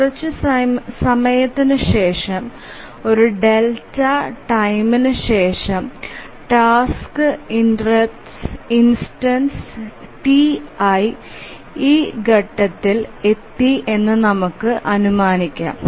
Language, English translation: Malayalam, Now let's assume that after a delta time, after some time the task instance T